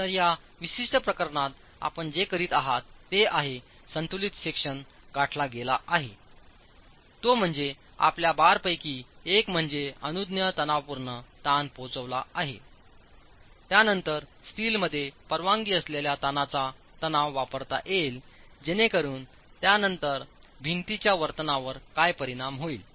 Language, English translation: Marathi, So, in this particular case, what you are doing is with respect to the since the balance section has been reached, that is one of your bars has actually reached the permissible tensile stress, you will use the permissible tensile stress in the steel as what is going to govern the behaviour of the wall thereafter